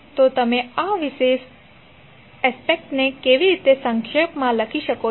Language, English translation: Gujarati, So how you can summarize this particular aspect